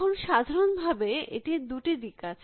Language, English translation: Bengali, Now, in general, there are two approaches to this